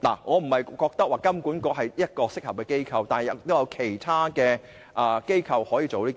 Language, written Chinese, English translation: Cantonese, 我並非覺得金管局是一個適合的機構，亦有其他機構可以做到。, I do not think HKMA is the only appropriate regulatory body; other regulatory bodies can do the job as well